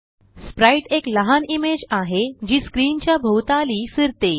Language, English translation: Marathi, Sprite is a small image that moves around the screen.e.g